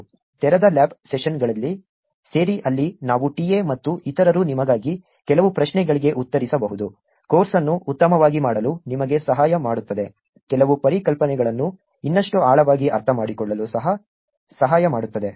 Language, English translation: Kannada, Join the open lab sessions where we could actually have the TA and others answer some questions for you, help you do the course better, help you understand some concepts even more deeply